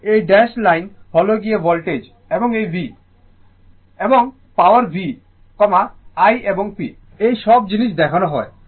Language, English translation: Bengali, And this is dash line is the voltage, and this is the V I and power v, i and p all these things are shown right